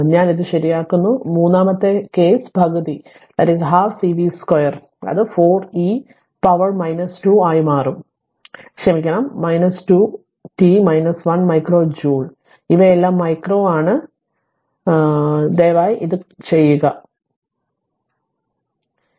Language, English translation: Malayalam, I am correcting it so and third case half C v square it will become 4 into e to the power minus 2 sorry minus 2 into t minus 1 micro joule these are all micro just you do it please do it I have done it for a simple thing right